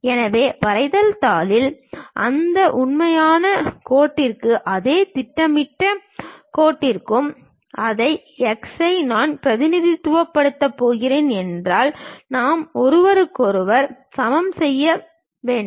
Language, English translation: Tamil, So, on drawing sheet, if I am going to represent the same x for that real line and also this projected line; then I have to equate each other